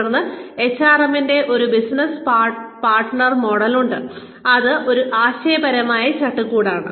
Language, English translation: Malayalam, Then, we have a business partner model of HRM, which is a conceptual framework